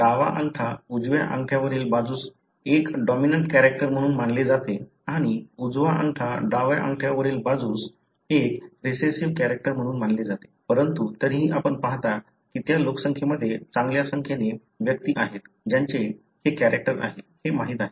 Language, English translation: Marathi, The left over right is considered to be a dominant character, whereas the right over left is a recessive character, but still you see there are a good number of individuals in that population, who have this you know, character